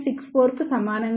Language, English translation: Telugu, 36 will be equal to 0